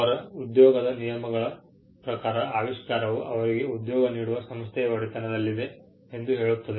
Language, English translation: Kannada, The terms of their employment will say that the invention shall be owned by the organization which employees them